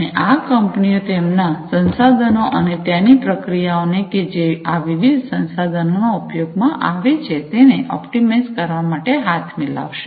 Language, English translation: Gujarati, And these companies are going to join hands for optimizing their resources, and the processes that are there, in the use of these different resources